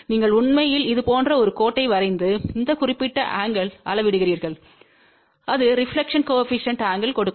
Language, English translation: Tamil, You actually draw a line like this and measure this particular angle and that will give the angle of the reflection coefficient